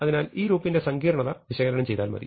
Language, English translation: Malayalam, So, it is enough to analyze complexity of this loop